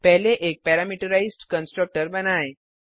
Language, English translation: Hindi, Let us first create a parameterized constructor